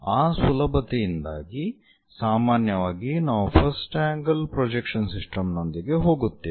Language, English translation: Kannada, So, because of that easiness usually we go with first angle projection system